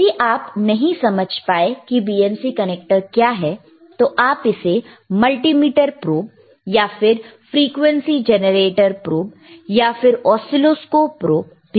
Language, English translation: Hindi, iIf you do n ot understand what is BNC connector is, just say multimeter probe or frequency generator probe, oscilloscope probe, right